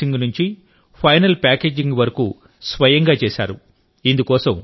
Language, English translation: Telugu, From Clay Mixing to Final Packaging, they did all the work themselves